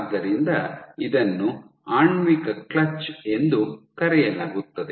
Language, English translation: Kannada, So, this is called a molecular clutch